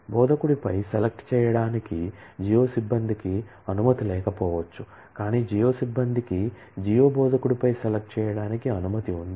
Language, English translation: Telugu, The geo staff may not have permission to do select on instructor, but the geo staff has permission to select on geo instructor